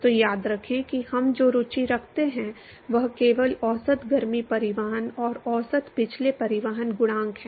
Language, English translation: Hindi, So, remember that, what we are interested is only the average heat transport and average past transport coefficients